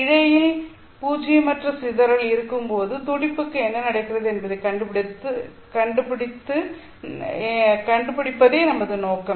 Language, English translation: Tamil, The objective for us would be to try and find what happens to this pulse when you have non zero dispersion in the fiber